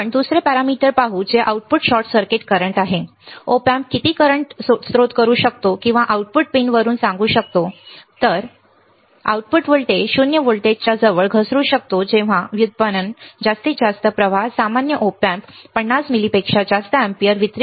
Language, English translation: Marathi, Let us see another parameter which is output short circuit current, what is that how much current the Op amp can source or saying from the output pin, the output voltage could drop near 0 volts when derived delivering the maximum current typically the Op amp cannot deliver more than 50 milli ampere